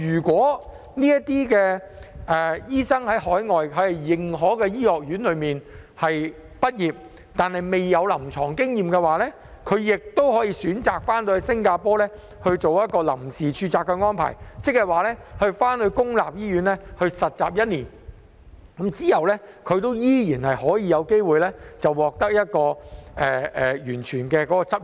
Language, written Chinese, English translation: Cantonese, 在海外認可的醫學院畢業但未有臨床經驗的醫生，亦可以選擇在新加坡進行臨時註冊，在公立醫院實習一年後便有機會取得全面的執業資格。, Doctors graduated from recognized overseas medical schools without clinical experience may first practise under temporary registration in Singapore and then obtain full registration after completion of a one - year internship in public hospitals